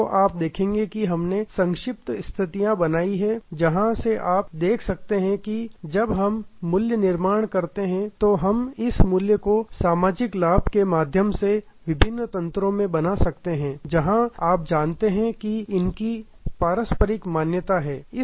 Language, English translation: Hindi, So, you will see that the, we have given some small cases from where you can see that when we create value, we can create this value to different mechanism through social benefit, where you know there is a mutual recognition